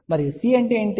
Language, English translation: Telugu, And what is C